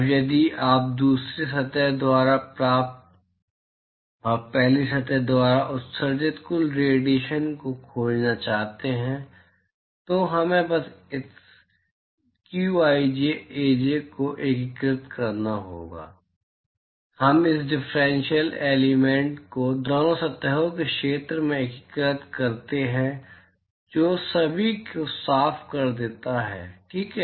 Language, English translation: Hindi, Now, if you want to find the total radiation that is received by the second surface and that emitted by the first surface, we simply have to integrate this qij Aj, we integrate this differential element over the area of both the surfaces is that cleared everyone alright